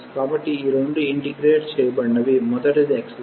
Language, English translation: Telugu, So, these are the two integral the first one is x square